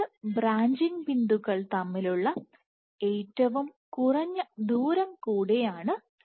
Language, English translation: Malayalam, So, Dbr is also the minimum distance between two branching points